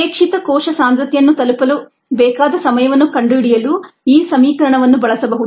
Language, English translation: Kannada, this equation can be used to find the time needed to reach a desired cell concentration